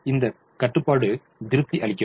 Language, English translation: Tamil, therefore this constraint is satisfied